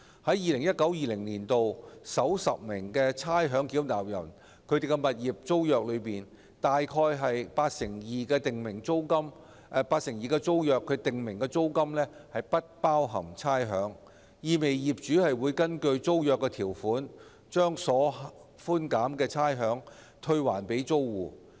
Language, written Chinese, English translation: Cantonese, 在 2019-2020 年度獲差餉寬減最多的首10名差餉繳納人訂立的物業租約中，約八成二訂明租金不包含差餉，意味業主會根據租約條款把獲寬減的差餉退還租戶。, About 82 % of the tenancies of the top 10 ratepayers who receive the largest amounts of rates concession in 2019 - 2020 are rates exclusive implying that the property owners will rebate the rates concessions to the tenants in accordance with the tenancy provisions